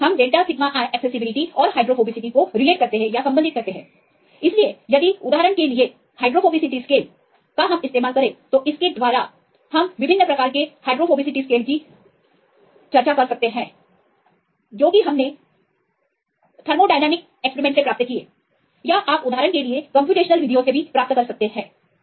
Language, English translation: Hindi, So, if the delta gr represents the hydrophobicity scale for example, you can take any hydrophobic indices right we discussed various kind of hydrophobic indices either you have obtained from experiments thermodynamic transfer experiments or you can get from the computational methods for example